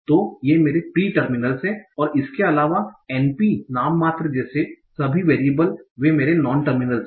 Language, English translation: Hindi, And apart from that all the variables like np, nominal, they are my non terminals